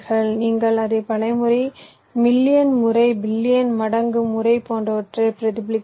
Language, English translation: Tamil, you are replicating it many times, million number of times, billion number of times like that